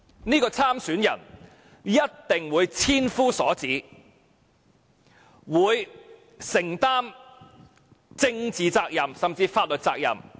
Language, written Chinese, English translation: Cantonese, 這名參選人一定會受千夫所指，要承擔政治責任甚至法律責任。, This candidate would definitely be severely criticized and would have to take the political or even legal consequences